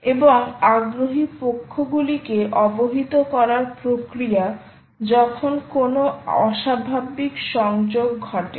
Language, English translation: Bengali, a mechanism to notify interested parties when an abnormal disconnection happens